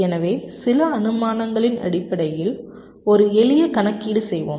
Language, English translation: Tamil, so let us make a simple calculation based on some assumptions